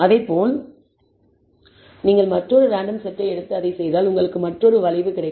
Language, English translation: Tamil, Similarly, if you take another random set and do it, you will bet another curve